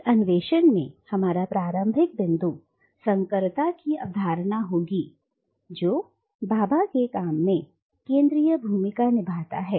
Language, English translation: Hindi, Now our starting point in this exploration today will be the concept of hybridity which plays a central role in Bhabha’s work